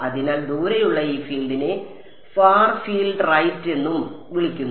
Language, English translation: Malayalam, So, this field far away is also called far field right